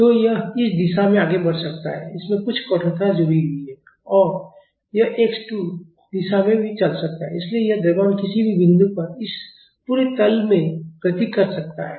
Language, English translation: Hindi, So, this can move in this direction some stiffness is attached to it and this can also move in the x 2 direction; so, this mass at any point can move in this entire plane